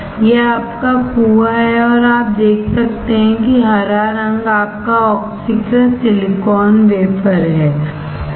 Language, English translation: Hindi, This is your well and you can see green color is your oxidized silicon wafer